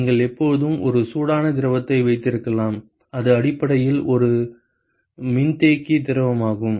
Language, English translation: Tamil, And you could always have a hot fluid it is basically a condensing fluid